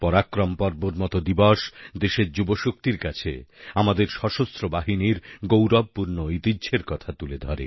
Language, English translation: Bengali, A day such as ParaakaramPrava reminds our youth of the glorious heritage of our Army